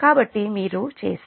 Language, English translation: Telugu, how will do it